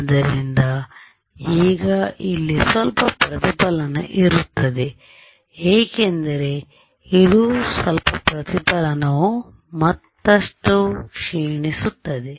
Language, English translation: Kannada, So, there will be some reflection now as this some reflection this will further decay